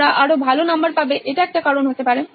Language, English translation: Bengali, They can score better marks that could be one reason